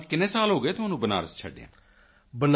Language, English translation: Punjabi, So how many years have passed since you left Banaras